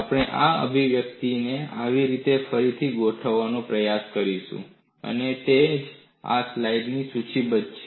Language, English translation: Gujarati, We would try to recast this expression in such a fashion, and that is what is listed in this slide